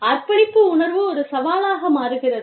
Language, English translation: Tamil, And, the sense of commitment, becomes a challenge